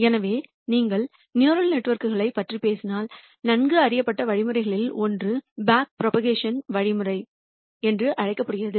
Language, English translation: Tamil, So, if you talk about neural networks one of the well known algorithms is what is called a back propagation algorithm